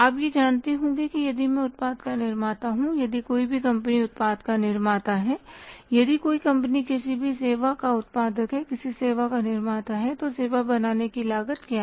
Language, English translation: Hindi, You must be knowing that if I am the producer of a product if any company is the producer producer of the product, if any company is a generator of any service, then what is the cost of creating their service